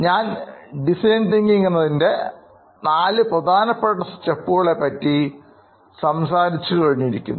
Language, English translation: Malayalam, I have already briefed you about four stages of design thinking